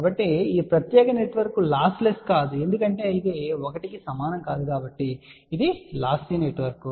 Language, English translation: Telugu, So that means, this particular network is not lossless because it is not equal to 1 hence this is a lossy network